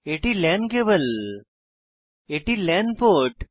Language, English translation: Bengali, And this is a LAN port